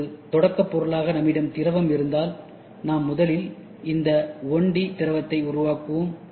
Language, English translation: Tamil, If we have liquid as a starting material, then what we do is we first create this 1D liquid